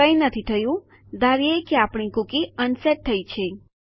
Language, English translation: Gujarati, Nothing has happened presuming my cookie is unset